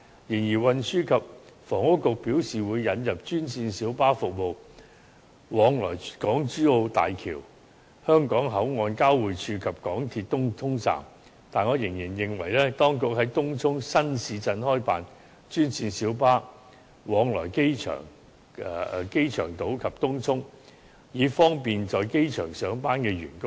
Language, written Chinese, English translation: Cantonese, 雖然運輸及房屋局表示會引入專線小巴服務往來港珠澳大橋香港口岸交匯處及港鐵東涌站，但我仍然希望當局在東涌新市鎮開辦專線小巴往來機場島及東涌，以方便在機場上班的員工。, Although the Secretary for Transport and Housing has indicated that green minibus services will be introduced to ply between the Hong Kong - Zhuhai - Macao Bridge Hong Kong Boundary Crossing and the MTR Tung Chung Station I still hope that the Administration will operate new green minibus routes in the Tung Chung New Town for travelling to and from the airport island and Tung Chung so as to facilitate staff members working in the airport